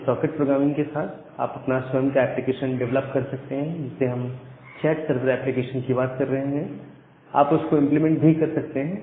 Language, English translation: Hindi, So, with this particular socket programming, you can develop your own applications you can even implement the chat server application that we are talking about